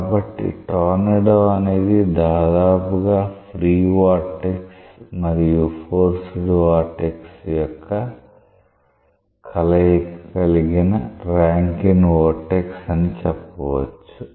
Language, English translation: Telugu, So, a tornado may be very well approximated by a Rankine vertex which is a combination of free and forced vortex